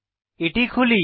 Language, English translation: Bengali, Lets open it